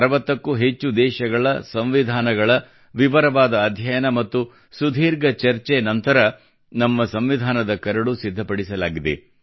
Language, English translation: Kannada, The Draft of our Constitution came up after close study of the Constitution of over 60 countries; after long deliberations